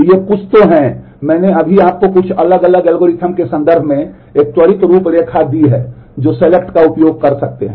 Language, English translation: Hindi, So, these are some of the so, I i just gave you a quick outline in terms of some of the different algorithms that selection could use